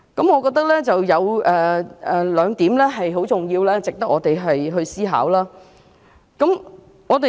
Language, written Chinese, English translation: Cantonese, 我認為有兩點很重要且值得我們思考。, I think there are two very important points which warrant our thought